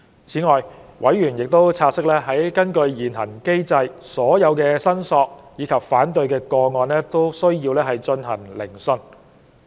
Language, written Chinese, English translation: Cantonese, 此外，委員察悉，根據現行機制，所有申索及反對個案均須進行聆訊。, Moreover members note that under the existing mechanism hearings have to be conducted for all claim and objection cases